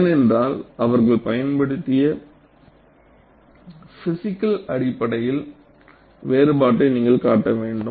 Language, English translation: Tamil, Because you have to make a distinction on the physical basis that, they have used